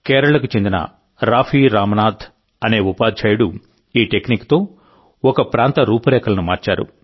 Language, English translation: Telugu, Shriman Raafi Ramnath, a teacher from Kerala, changed the scenario of the area with this technique